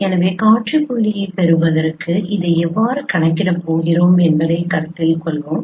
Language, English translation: Tamil, So we will discuss the solution so let us consider how we are going to compute this particular to get the same point